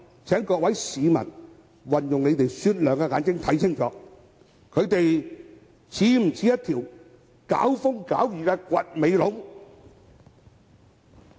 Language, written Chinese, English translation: Cantonese, 請各位市民運用雪亮的眼睛看清楚，他們是否像一條"搞風搞雨"的"掘尾龍"？, I hope members of the public will see with discerning eyes whether these Members are stirring up trouble